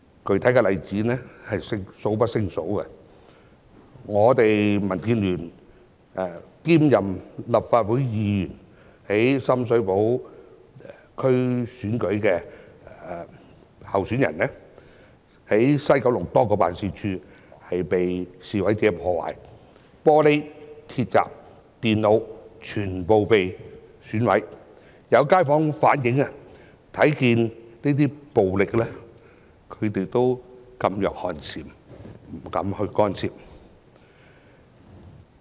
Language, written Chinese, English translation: Cantonese, 具體的示威者暴力例子多不勝數，民建聯一位立法會議員兼深水涉區議員的候選人表示，九龍西多個辦事處被示威者破壞，玻璃、鐵閘、電腦全部均被毀壞，有街坊反映這些暴力令他們噤若寒蟬，不敢干涉。, There are countless examples which I can cite to specifically illustrate the violent acts committed by demonstrators . According to a candidate who is a Legislative Council Member cum Sham Shui Po DC member from DAB many members offices in Kowloon West were vandalized by demonstrators with glassware iron gates and computers in these offices damaged . Some residents in the community pointed out that the violent incidents had discouraged them from expressing their views and they did not dare to interfere